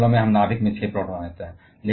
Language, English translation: Hindi, In all the cases we are having 6 protons in the nucleus